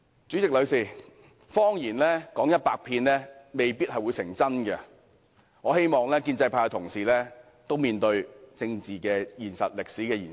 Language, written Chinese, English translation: Cantonese, 代理主席，謊言說一百遍未必會變真，我希望建制派同事敢於面對政治現實和歷史現實。, Deputy President a lie told a hundred times may not become the truth . I hope Honourable colleagues from the pro - establishment camp will dare confront the political reality and historical reality